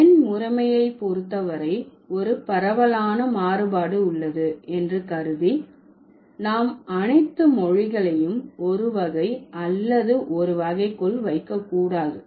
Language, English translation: Tamil, So considering there is a wide set of variation as far as number system is concerned, we should not put all languages in one type or one category